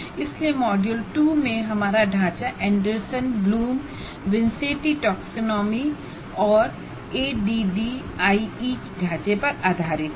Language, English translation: Hindi, So our framework here in the module 2 is based on Anderson Bloom Wincente taxonomy and ADD framework